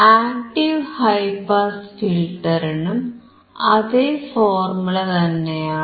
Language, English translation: Malayalam, What about active high pass filter